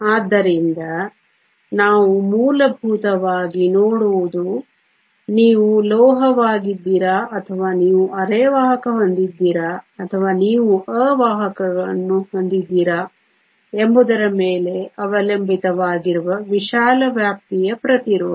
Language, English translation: Kannada, So, what we essentially see is a wide range of resistivity depending upon whether you are the metal or you have a semiconductor or you have an insulator